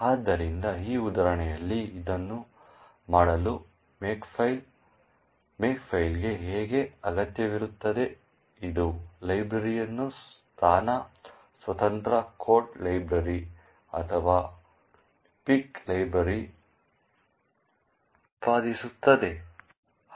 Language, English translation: Kannada, So, in order to do this in this example how a makefile would require makelib pic which would generate the library as a position independent code library or a pic library